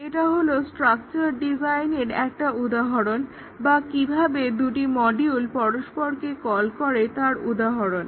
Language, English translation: Bengali, This is an example of a structure design or an example of how the modules call each other